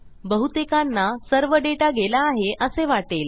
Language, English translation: Marathi, Most people would think all that data has been lost now